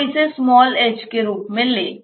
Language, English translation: Hindi, So, let us say that this is h